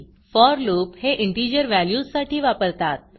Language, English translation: Marathi, Recall that the for loop is used for integer values